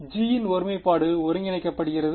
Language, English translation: Tamil, So, the singularity of g is integrable